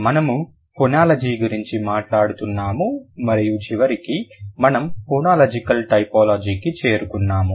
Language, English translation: Telugu, We are talking about phonology and eventually we will move to phonological typology